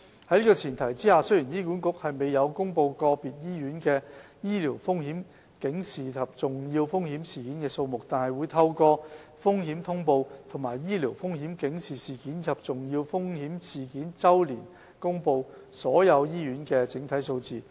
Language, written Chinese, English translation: Cantonese, 在這前提下，雖然醫管局沒有公布個別醫院的醫療風險警示及重要風險事件數目，但會透過《風險通報》和醫療風險警示事件及重要風險事件周年報告公布所有醫院的整體數字。, Hence instead of releasing the number of sentinel and serious untoward events of individual hospitals HA announces the overall figures of all hospitals through its Risk Alert and the Annual Report on Sentinel and Serious Untoward Events